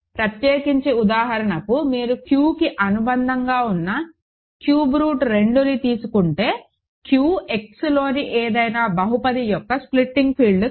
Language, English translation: Telugu, In particular for example, if you take Q adjoined cube root of 2 over Q is not a splitting field of any polynomial in Q X